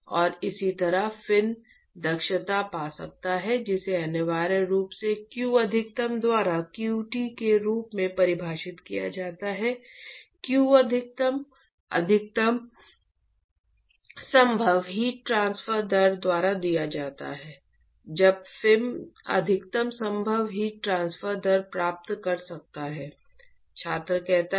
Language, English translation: Hindi, And similarly one could find the fin efficiency which is essentially defined as q t by q max, q max is given by what is the maximum possible heat transfer rate when can the fin achieve maximum possible heat transfer rate